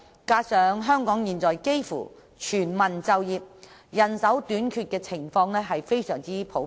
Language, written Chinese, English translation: Cantonese, 此外，香港現在幾乎全民就業，人手短缺的情況非常普遍。, In addition we have literally achieved full employment and manpower shortage is a common problem in Hong Kong